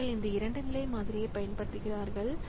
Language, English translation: Tamil, So, they use this 2 level model